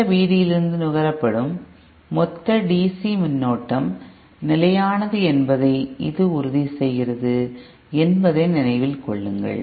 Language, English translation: Tamil, Remember that this ensures that the total DC current consumed from the source V D is constant